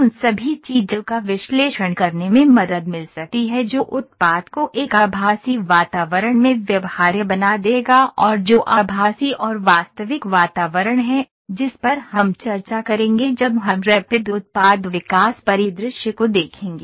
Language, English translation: Hindi, All those things can help to conduct an analysis that would make the product viable in a virtual environment and what is virtual and real environment that we will discuss when we will see Rapid Product Development scenario, at first